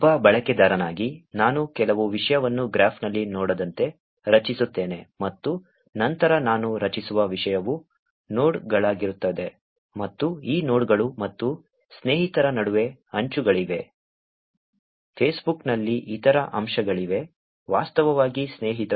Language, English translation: Kannada, As a user, I create some content as a node in the graph and then the content that I create is also as nodes and there are edges between these nodes and the friends, there is other component in the Facebook is actually friends